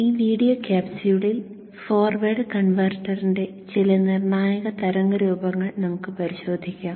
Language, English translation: Malayalam, In this video capsule we shall look at the waveforms, some critical waveforms of the forward converter